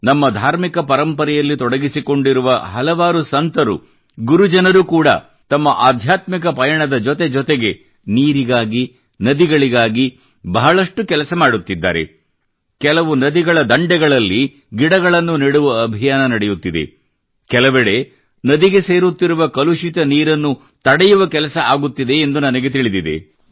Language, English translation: Kannada, I know for sure that many of our saints, our gurus associated with our religious traditions are doing a lot for the sake of water and rivers, along with their spiritual pursuits…many of them are running campaigns to plant trees along riverbanks…at places, dirty water is being prevented from flowing into rivers